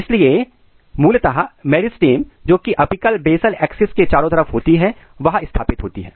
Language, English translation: Hindi, So, basically meristem which is across the apical basal axis is established